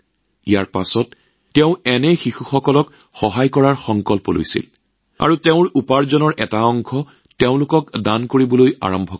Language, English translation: Assamese, After that, he took a vow to help such children and started donating a part of his earnings to them